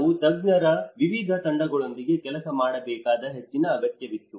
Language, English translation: Kannada, There was a great need that we have to work with different teams of experts